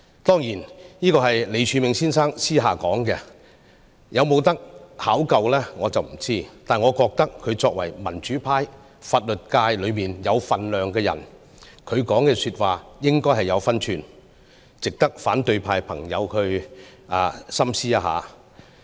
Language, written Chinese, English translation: Cantonese, "當然，這是李柱銘先生私下所說，我不肯定可否考究，但我覺得他作為民主派法律界有分量的人，他的說話應該有分寸，值得反對派朋友深思一下。, Of course such words were said by Mr Martin LEE in private I am not sure if they could be verified . However as Martin LEE has great standing in the legal sector of the democratic camp his words should be sensible and worthy of detailed consideration by friends of the opposition camp